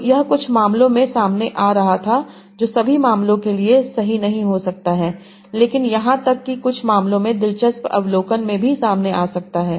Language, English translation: Hindi, So this was coming out in some cases may not be true for all the cases, but even coming out for some cases was an interesting observation